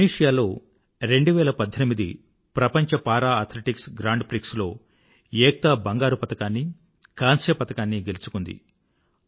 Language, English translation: Telugu, Ekta has won the gold and bronze medals in World Para Athletics Grand Prix 2018 held in Tunisia